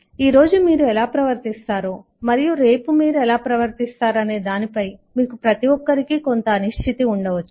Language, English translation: Telugu, you may, everybody, have certain uncertainty in terms of how you will behave today and how you will behave tomorrow